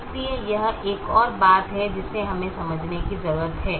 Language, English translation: Hindi, so this is another thing that we need to understand